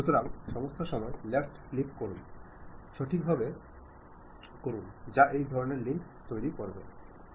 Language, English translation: Bengali, So, all the time left click, left click, left click, properly adjusting that has created this kind of links